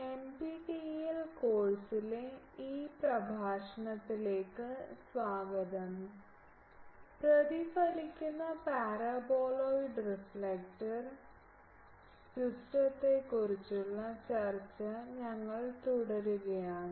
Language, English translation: Malayalam, Welcome to this lecture in NPTEL course, we are continuing the discussion on reflect Paraboloid Reflector system